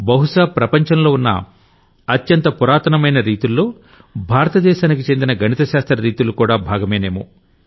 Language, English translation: Telugu, Perhaps, among the ancient traditions in the world India has a tradition of mathematics